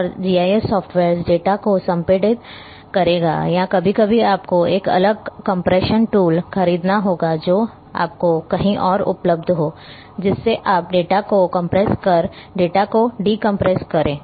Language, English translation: Hindi, And GIS softwares will compress the data or sometimes you one has to buy a different compression tools available elsewhere you compress the data, decompress the data